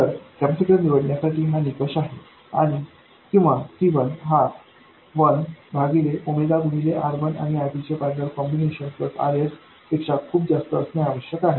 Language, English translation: Marathi, So, this is the criterion for choosing the capacitor or C1 must be much greater than 1 by omega R1 parallel R2 plus RS and so on